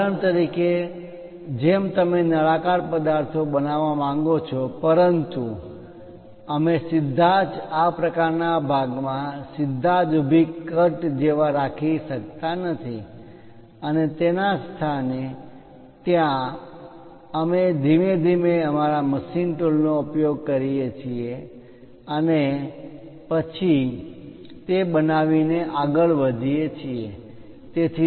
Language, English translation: Gujarati, For example, like you want to make a cylindrical objects, but we cannot straight away jump into this kind of portion like a perfect vertical cut and jump there instead of that, we gradually use our machine tool and then go ahead construct that